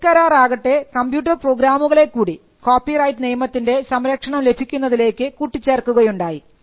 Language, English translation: Malayalam, And the TRIPS agreement also recognised computer programs as products that can be protected by copyright